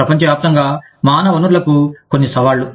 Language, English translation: Telugu, Some challenges for human resources, globally